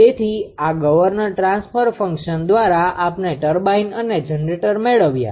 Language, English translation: Gujarati, So, with this governor ah transfer function we got, turbine got and this ah generator we got right